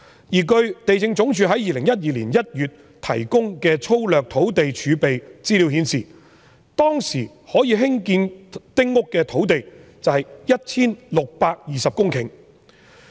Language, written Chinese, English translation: Cantonese, 而據地政總署2012年1月提供粗略的土地儲備資料顯示，當時可以興建丁屋的土地有 1,620 公頃。, According to information provided by the Lands Department in January 2012 on the rough estimate of land reserve there were 1 620 hectares of land which could be used for building small houses